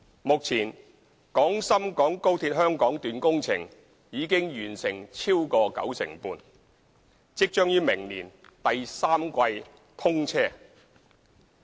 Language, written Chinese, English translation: Cantonese, 目前，廣深港高鐵香港段工程已完成超過九成半，即將於明年第三季通車。, At present the construction works of the Hong Kong Section of XRL are over 95 % complete and it will commission service in the third quarter next year